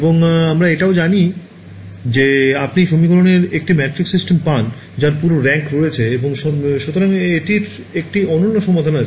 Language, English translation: Bengali, And, we also know that you get a matrix system of equations which has full rank and therefore, it has a unique solution ok